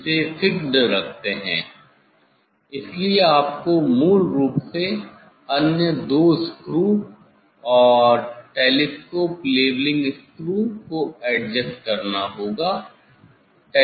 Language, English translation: Hindi, keeping it fixed so you have to adjust basically, other two screw and the telescope leveling screw